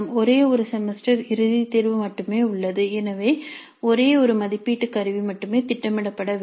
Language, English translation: Tamil, There is only one semester and examination and thus there is only one assessment instrument that needs to plan